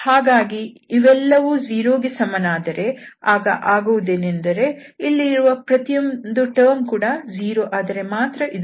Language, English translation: Kannada, So, if this everything is equal to zero 0, then what will happen that this is possible when the individual terms here are 0